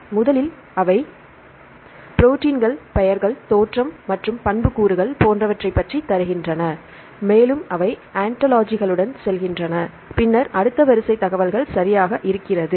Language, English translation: Tamil, First, they give about the proteins right, the names, origin and attributes and so on and go with the ontologies and then the next the sequence information, right